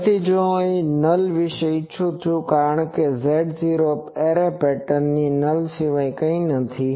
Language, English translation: Gujarati, So, if I want about the nulls because these Z 0s are nothing but nulls of the array pattern